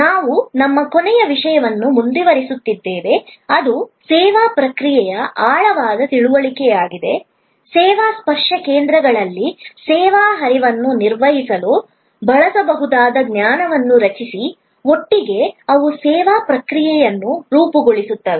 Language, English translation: Kannada, We are continuing our last topic, which is deeper understanding of the service process; create knowledge that can be used to manage the service flow in the service touch points, together they constitute the service process